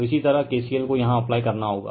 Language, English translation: Hindi, So, similarly you have to apply KCL here, you have to apply KCL here